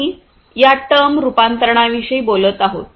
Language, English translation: Marathi, Conversion we are talking about by this term conversion